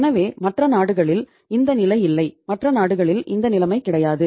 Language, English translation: Tamil, So which is not the case in the other countries, which is not the case in the other countries